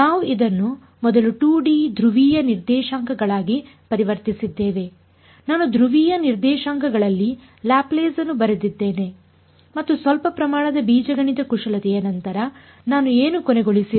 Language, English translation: Kannada, We converted it first to 2D polar coordinates I wrote down the Laplace in the polar coordinates and after some amount of algebraic manipulation, what did I end up with